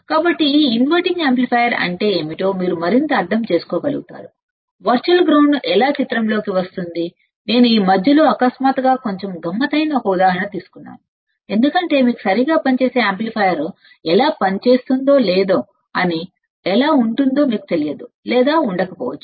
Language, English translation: Telugu, So, that you can understand further of what is this inverting amplifier how the virtual ground come into picture I took an example which is little bit tricky suddenly in middle of this because you may or may not have idea of how exactly operational amplifier works or how the inverting amplifier works or how the virtual grounds comes into picture